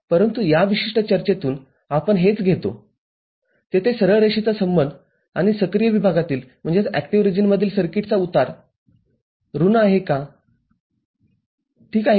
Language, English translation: Marathi, But, this is what we take from this particular discussion is that there is a linear relationship and the slope is negative for the circuit in the active region ok